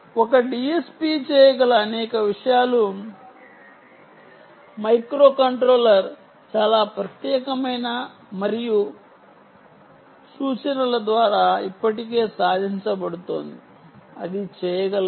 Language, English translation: Telugu, many things that a d s p can do is being already achieved by microcontroller, very specific and very special instructions which can do that